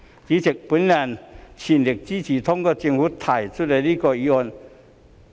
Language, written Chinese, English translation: Cantonese, 主席，我全力支持通過政府提出的這項議案。, President I fully support the passage of this motion proposed by the Government